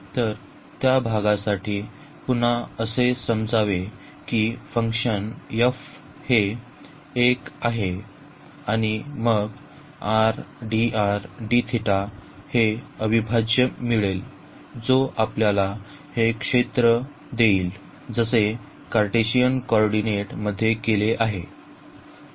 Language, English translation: Marathi, So, again for the area we have to just assume that this function f is 1 and then we will get this integral over r dr d theta that will give us the area as we have done in the Cartesian coordinates